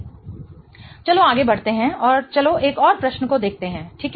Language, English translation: Hindi, Let's go ahead and let's look at one more question